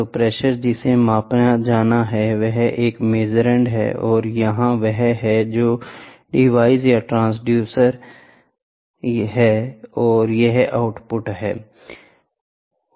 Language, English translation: Hindi, So, pressure which is to be measured, this is a measurand and this is what is the device or a transducer and this is the output